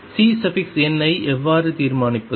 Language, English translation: Tamil, How do we determine C n